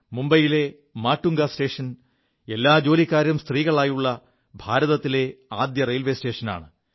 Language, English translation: Malayalam, Matunga station in Mumbai is the first station in India which is run by an all woman staff